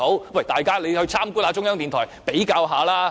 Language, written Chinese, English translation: Cantonese, 那請大家參觀中央電台比較一下吧。, If so please visit the China National Radio to make a comparison